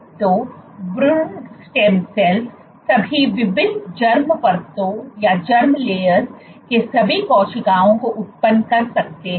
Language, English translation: Hindi, So, embryonic stem cells can generate all cells of all different germ layers